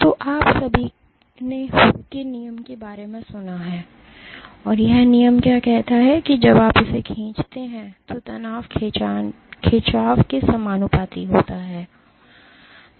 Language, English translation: Hindi, So, you have all heard of Hooke’s law, and what does the law state that when you stretch it your stress is proportional to the strain